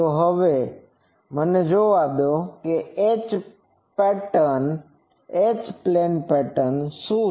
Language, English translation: Gujarati, Now, let me see, what is the H plane pattern